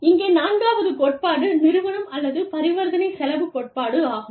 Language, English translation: Tamil, Then, the fourth theory here is, the agency or transaction cost theory